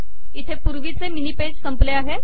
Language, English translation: Marathi, Here the previous mini page got over